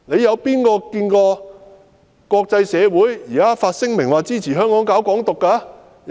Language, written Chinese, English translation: Cantonese, 有誰看過國際社會發聲明說支持香港搞"港獨"？, Has anyone seen any statement issued by the international community to support the pursuit of Hong Kong independence in Hong Kong?